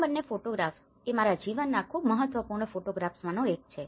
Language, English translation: Gujarati, These two photographs are one of the important photographs of my life